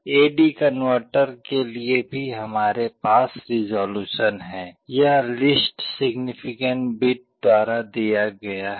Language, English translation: Hindi, For A/D converter also we have resolution, this is given by the least significant bit